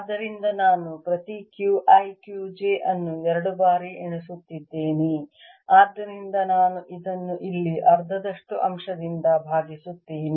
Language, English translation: Kannada, so i will be double counting each q i q j, so i divided by a factor of half a here